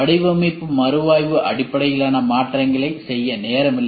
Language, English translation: Tamil, No time to make design review based changes so this is a problem